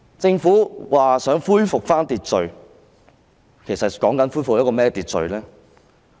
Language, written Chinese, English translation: Cantonese, 政府說想恢復秩序，是要恢復怎樣的秩序呢？, The Government says it wants to restore order so what kind of order does it want to restore?